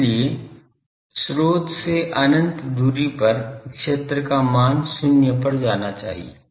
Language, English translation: Hindi, So, at a infinite distance from the source the value of the field should go to zero